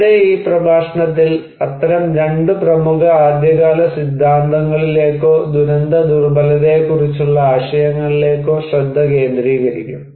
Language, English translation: Malayalam, Here, in this lecture, we will focus on these two such prominent early theories or concepts on disaster vulnerability